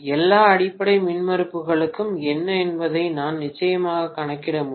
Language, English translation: Tamil, Then I can definitely calculate what are all the base impedances